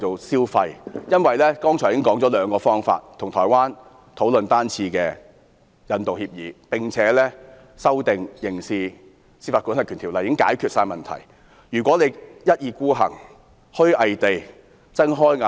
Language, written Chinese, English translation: Cantonese, 剛才議員已指出兩種方法，即與台灣討論單次引渡協議，並修訂《刑事司法管轄區條例》，已足可解決台灣慘案移交犯人的問題。, Members have already pointed out two ways to deal with it that is to negotiate a single extradition agreement and also amend the Criminal Jurisdiction Ordinance which are sufficient to solve the problem of surrendering the offender in the homicide to Taiwan